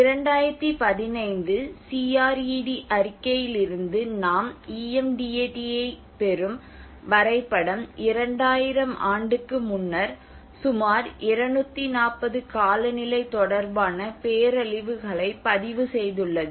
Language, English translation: Tamil, When we say about from the CRED report 2015, this is what the map you get the EM DAT has recorded about 240 climate related disasters per year before 2000